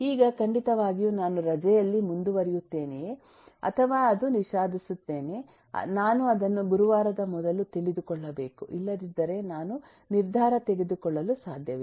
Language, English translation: Kannada, now, certainly, whether I get to proceed on leave or it is regretted, I must get to know it before thursday, otherwise I, I cannot take a decision